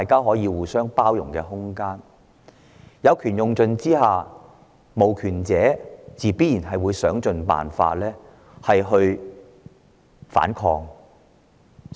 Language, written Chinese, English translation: Cantonese, 再者，在當權者有權用盡的情況下，無權者自然會想盡辦法反抗。, Also when the authorities exercise their power to the fullest people with no power will certainly fight back by all means